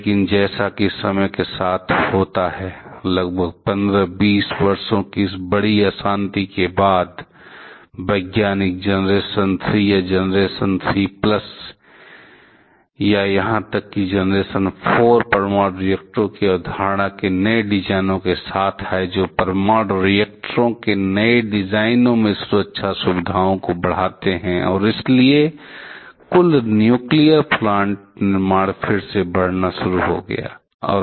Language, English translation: Hindi, But as a time goes on over this big lull period of about 15 20 years; scientists have came up with newer designs, the concept of generation 3 or generation 3 plus or even generation 4 nuclear reactors are which came up with newer designs of nuclear reactors with enhance safety features and so, then it has started to increase again; the total nuclear plant construction